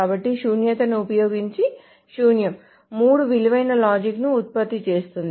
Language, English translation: Telugu, So using null, null generates to what is called a three valued logic